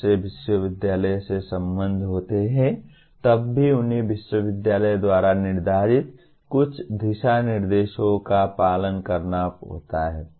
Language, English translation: Hindi, When they are affiliated to university, they still have to follow some guidelines set up by the university